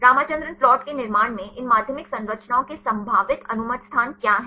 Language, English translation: Hindi, What are the probable allowed positions of these secondary structures in the construction of Ramachandran plot